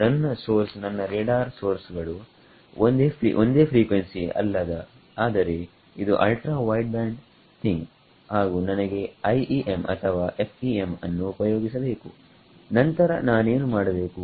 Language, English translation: Kannada, Supposing my source my let us my radar sources not single frequency, but it's ultra wideband thing and I wanted to use IEM or FEM then what would I do